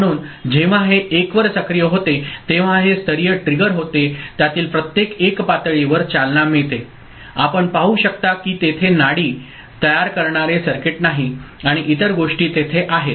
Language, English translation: Marathi, So, when this is active at 1, this is level triggered, each 1 of them is level triggered you can see that there is no pulse forming circuit and other things are there